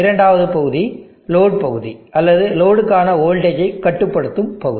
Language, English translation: Tamil, The second part is the load part or the voltage regulating part for the load